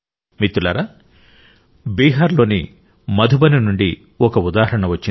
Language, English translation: Telugu, before me is an example that has come from Madhubani in Bihar